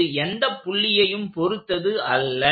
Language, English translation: Tamil, It is not about any point